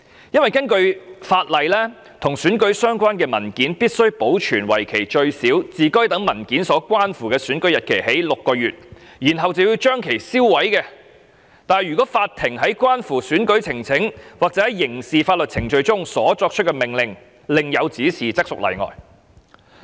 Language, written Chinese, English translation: Cantonese, 根據《選舉管理委員會規例》，與選舉相關的文件必須保存為期最少自該等文件所關乎的選舉日期起計6個月，然後將其銷毀，但如法庭在關乎選舉呈請或在刑事法律程序中所作出的命令另有指示，則屬例外。, According to the Electoral Affairs Commission Regulation election documents must be retained for at least six months from the date of the election to which they relate . The documents must be destroyed thereafter unless directed by an order of court in proceedings relating to an election petition or criminal proceedings